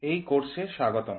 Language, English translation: Bengali, Welcome to this course